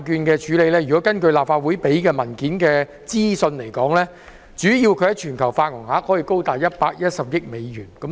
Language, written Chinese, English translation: Cantonese, 根據立法會文件提供的資料，巨災債券在全球發行額高達110億美元。, According to the Legislative Council Brief the global issuance of ILS was approximately US11 billion